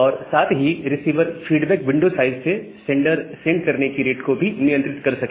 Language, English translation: Hindi, And with that, from this receiver feedback window size, the sender also control its rate